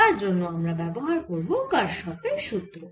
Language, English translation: Bengali, so we will use kirchhoff's law for this